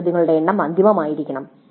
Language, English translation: Malayalam, The total number of questions must be finalized